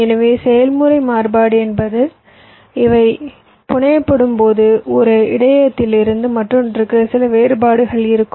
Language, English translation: Tamil, variation means when these are fabricated, there will be some variations from one buffer to the other